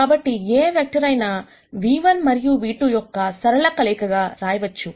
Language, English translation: Telugu, So, any vector can be written as a linear combination of nu 1 and a nu 2